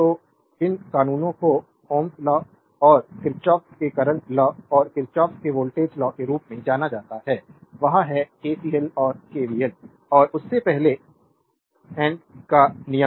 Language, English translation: Hindi, So, these laws are known as Ohm’s law and Kirchhoff’s current law and Kirchhoff’s voltage law; that is, KCL and KVL and before that Ohm’s law